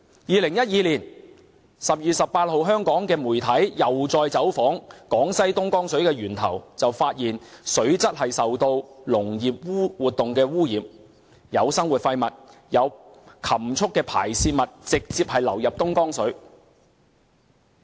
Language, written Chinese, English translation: Cantonese, 2012年12月18日香港媒體又再走訪江西東江水的源頭，發現水質受農業活動污染，有生活廢物和禽畜排泄物直接流入東江水。, On 18 December 2012 Hong Kong media visited the source of the Dongjiang water in Jiangxi . They found that the water quality was contaminated by some agricultural activities . Domestic and livestock wastes were discharged directly into the Dongjiang water